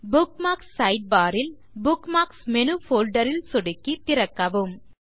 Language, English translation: Tamil, From the Bookmarks Sidebar, click on and open the Bookmarks Menu folder